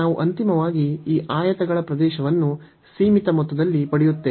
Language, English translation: Kannada, So, we will get finally the area of these rectangles in the finite sum